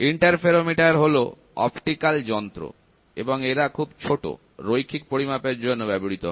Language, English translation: Bengali, Interferometers are optical instruments that are used for very small linear measurements